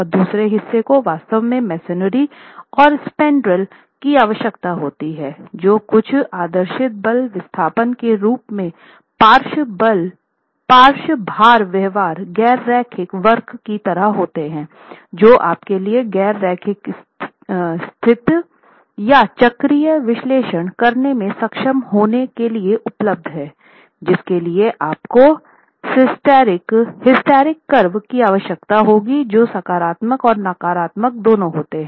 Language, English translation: Hindi, So, one part of it deals with how to convert the load bearing perforated shear wall into an equivalent frame and the other part actually requires that the masonry pier and the masonry spanrills lateral load behavior in the form of some idealized force displacement nonlinear curve is available for you to be able to carry out nonlinear static or even cyclic analysis for which you will require a hysteric curve, positive and negative cycles also available